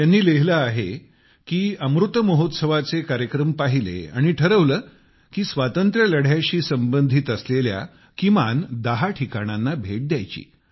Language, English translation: Marathi, He has written that he watched programmes on Amrit Mahotsav and decided that he would visit at least ten places connected with the Freedom Struggle